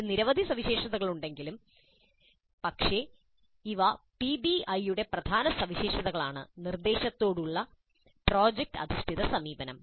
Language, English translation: Malayalam, There are many other features but these are the key features of PBI, project based approach to instruction